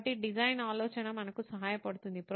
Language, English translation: Telugu, So design thinking will help us